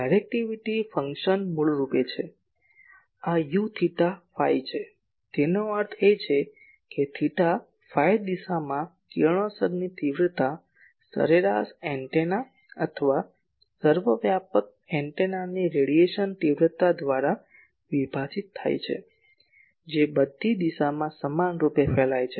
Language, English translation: Gujarati, Directivity function is basically , this U theta phi ; that means, radiation intensity in theta phi direction divided by radiation intensity of an average antenna or omni omni directional antenna which radiates equally in all direction